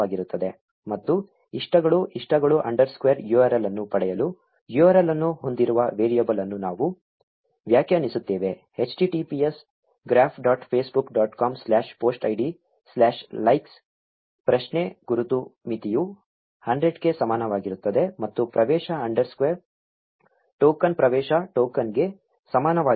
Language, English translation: Kannada, And we define a variable containing the URL for getting likes, likes underscore URL is equal to https graph dot facebook dot com slash post id slash likes question mark limit is equal to 100 and access underscore token is equal to the access token